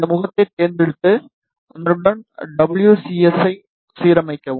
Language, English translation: Tamil, Just select this face, and align WCS with it ok